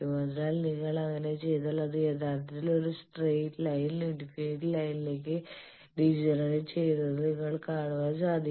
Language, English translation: Malayalam, So, you see if you do that actually degenerates to a straight line infinite line